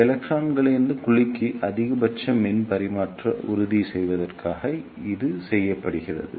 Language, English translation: Tamil, This is done to ensure the ah maximum power transfer from electrons to the cavity